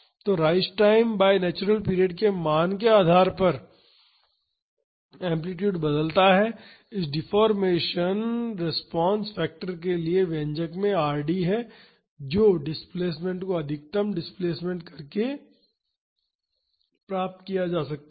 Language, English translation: Hindi, So, depending upon the value of the rise time to the natural period, the amplitude changes, in the expression for this deformation response factor that is Rd can be derived from the expression for the displacement by maximizing the displacement